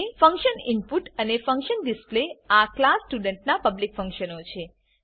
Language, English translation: Gujarati, Function input and function display are the public functions of class student